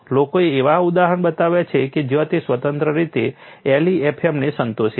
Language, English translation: Gujarati, People have shown examples where it satisfies LEFM independently